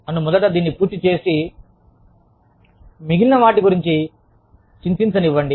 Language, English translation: Telugu, Let me, first finish this, and worry about the rest, later